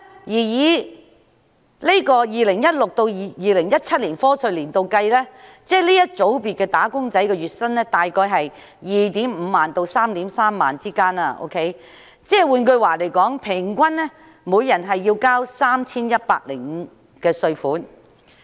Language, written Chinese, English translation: Cantonese, 以 2016-2017 課稅年度計算，這個組別的"打工仔女"的月薪約為 25,000 元至 33,000 元，平均每人繳稅 3,105 元。, For the year of assessment 2016 - 2017 this group of wage earners earned a monthly salary of around 25,000 to 33,000 and on average each taxpayer had to pay 3,105